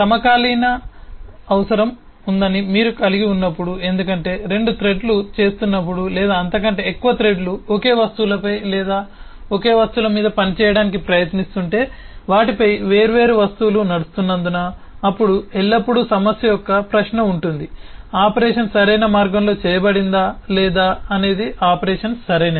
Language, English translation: Telugu, and whenever you have that, there is a need for synchronization, because if two threads or more threads are trying to work on the same objects or the same set of objects because there are different objects running on them, then there is always a question of issue of whether the operation will be correct, whether the operation is performed in the right way or not